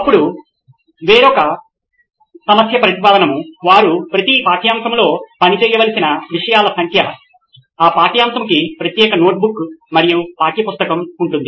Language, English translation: Telugu, Then another problem statement would be the number of subjects they’ll have to operate with as in each subject would have individual notebook and textbook for that thing